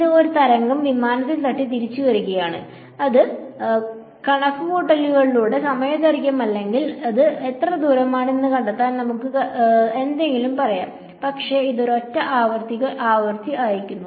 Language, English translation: Malayalam, It is sending a wave is hitting the plane and coming back and by calculating let us say time lag or something to find out how far it is, but it is sending a single frequency